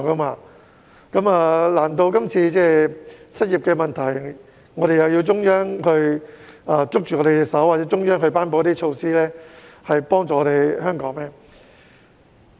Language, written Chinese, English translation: Cantonese, 面對這次的失業問題，難道我們也要中央握着手或頒布一些措施來幫助香港嗎？, When it comes to unemployment this time around should we expect the Central Authorities to issue directives or promulgate measures to assist Hong Kong?